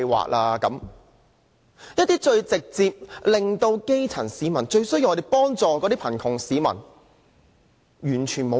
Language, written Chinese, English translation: Cantonese, 政府完全沒有方向和政策協助基層市民和最需要幫助的貧窮市民。, The Government does not have any direction or policy at all to help the grass roots and the needy who are in dire need of help